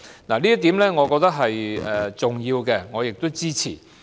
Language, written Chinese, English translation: Cantonese, 我認為這點是重要的，並會予以支持。, I also find this important and am going to support it